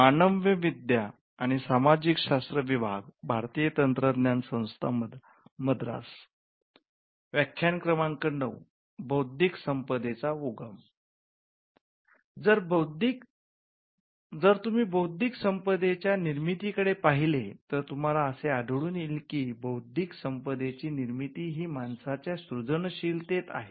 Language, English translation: Marathi, If you look at the origin of intellectual property, we will find that intellectual property can be attributed to human creativity itself